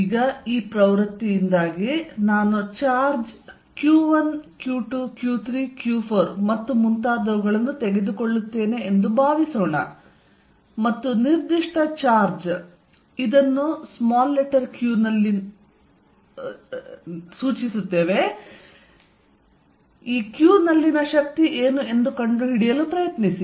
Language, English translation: Kannada, Now because of this nature; suppose I take now charge Q1, Q2, Q3, Q4 and so on, and try to find what is the force on a given charge q